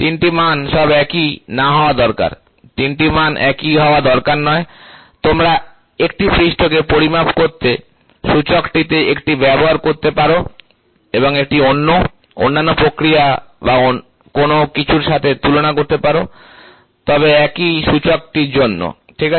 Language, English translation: Bengali, All the 3 values need not give the same, all the three values need not be the same, you can use one in index to measure a surface and compare this with the other, other process or something, but for the same index, ok